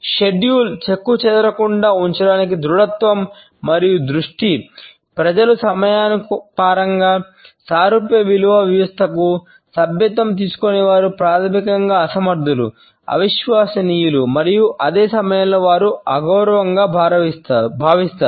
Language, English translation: Telugu, The rigidity and the focus to keep the schedules intact conditions, people to think that those people who do not subscribe to similar value system in the context of time are basically inefficient and unreliable and at the same time they are rather disrespectful